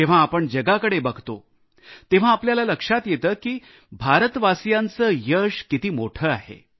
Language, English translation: Marathi, When we glance at the world, we can actually experience the magnitude of the achievements of the people of India